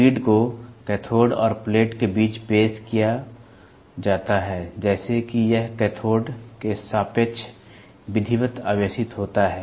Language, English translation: Hindi, The grid is introduced between the cathode and the plate such that it is duly charged negative relative to the cathode